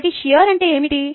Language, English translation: Telugu, so what is shear